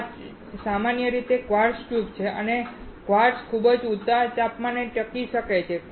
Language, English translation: Gujarati, This is generally a quartz tube and quartz can withstand very high temperature